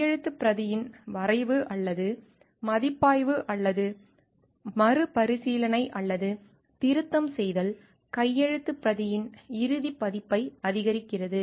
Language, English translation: Tamil, Contributed to drafting or reviewing or drafting or reviewing or revising of the manuscript approved the final version of the manuscript